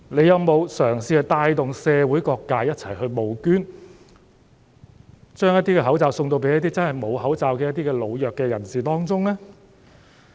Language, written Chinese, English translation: Cantonese, 有否嘗試帶動社會各界一起募捐，將一些口罩發送給一些真正缺乏口罩的老弱人士呢？, Did it try to motivate various sectors of the community to take part in donating masks for the old and the weak?